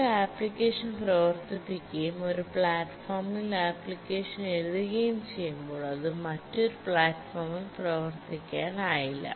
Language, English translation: Malayalam, If you run an application, you write an application on one platform, it will not run on another platform